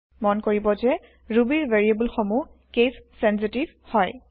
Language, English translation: Assamese, Please note that Ruby variables are case sensitive